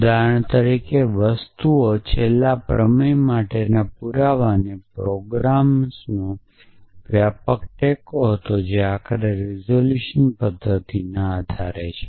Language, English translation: Gujarati, So, things like for example, the proof for last theorem had extensive support from programs which would based on resolution method eventually